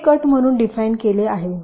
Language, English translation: Marathi, this is defined as the cut